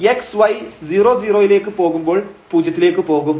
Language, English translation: Malayalam, So, naturally this f x y will go to 0 as x y goes to 0 0